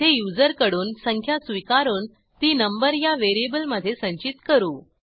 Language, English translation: Marathi, Here, we accept a number from the user and store it in variable number